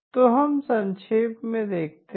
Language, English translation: Hindi, So let us do a quick run through